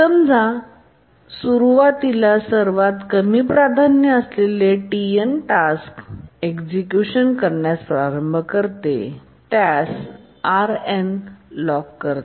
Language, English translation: Marathi, Now let's assume that initially the task TN which is the lowest priority starts executing and it locks RN